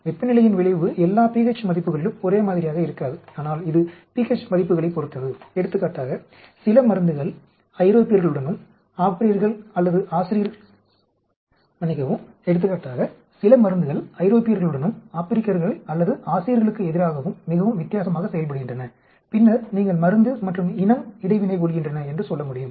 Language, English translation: Tamil, The effect of temperature is not same at all pH values but it depends on the pH values, for example some drugs perform very differently with Europeans as against Africans or Asians then you can say the drug and the race are interacting